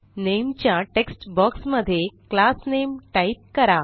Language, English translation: Marathi, In the Name text box, type the name of the class